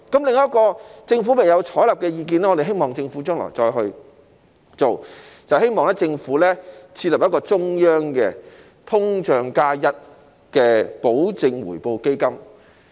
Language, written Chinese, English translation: Cantonese, 另一項政府未有採納的意見，我們希望政府將來會推行，就是我們希望政府設立中央的"通脹加 1%" 的保證回報基金。, There is another view that the Government has not taken on board but we hope the Government will adopt in the future . That is we hope the Government will set up a central inflation plus 1 % guaranteed return fund